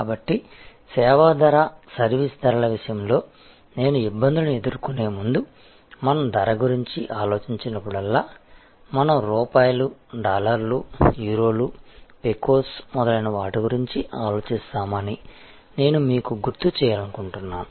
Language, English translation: Telugu, So, service pricing, now before I get to the difficulties with respect to service pricing, I would like to remind you that whenever we think of price, we think of rupees, dollars, Euros, Pecos and so on